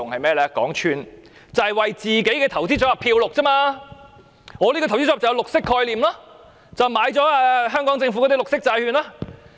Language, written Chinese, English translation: Cantonese, 便是為自己的投資組合"染綠"，說我這個投資組合具綠色概念，因為購買了香港政府的綠色債券。, It is to do greenwashing of ones investment portfolio claiming that such an investment portfolio carries a green concept because green bonds of the Hong Kong Government have been purchased